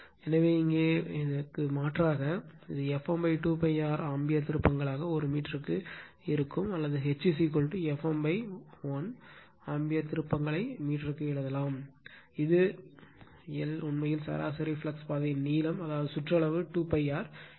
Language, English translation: Tamil, So, here you substitute, it will be F m upon 2 pi R ampere turns per meter or we can write H is equal to F m upon l ampere turns per meter that l is equal to actually length of the mean flux path that is that circumference that is you 2 pi R